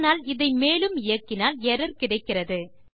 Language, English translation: Tamil, But when I try and run this, we get an error